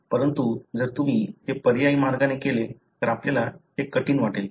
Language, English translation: Marathi, But if you do it in alternate way, you will find it is difficult